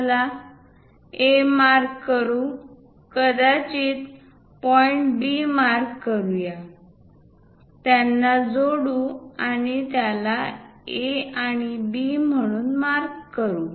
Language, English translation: Marathi, Let us mark A; perhaps let us mark point B, join them;mark it A and B